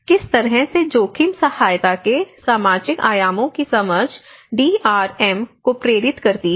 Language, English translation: Hindi, In what way does understanding of the social dimensions of the risk help drive DRR